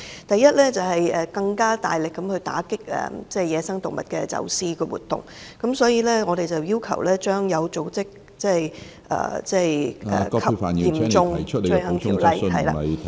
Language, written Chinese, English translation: Cantonese, 第一，為了更大力打擊野生動物的走私活動，我們要求將《有組織及嚴重罪行條例》......, First to step up the efforts in combating smuggling of wild animals we request that the Organized and Serious Crimes Ordinance